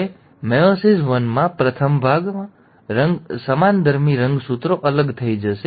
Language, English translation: Gujarati, Now in meiosis one, the first part, the homologous chromosomes will get separated